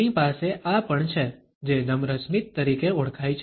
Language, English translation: Gujarati, We also have what is known as a polite smile